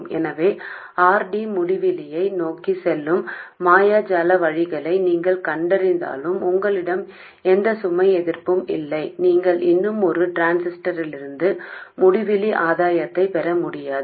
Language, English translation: Tamil, So even if you find magical ways of biasing where RD is tending to infinity and you don't have any load resistance at all, you still cannot get infinite gain from a single transistor